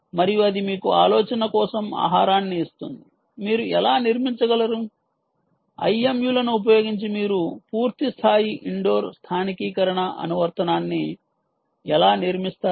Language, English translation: Telugu, ok, and that will sort of give you food for thought: how you can build, um, using the i m u s, how will you build a full fledged, a full blown indoor localization application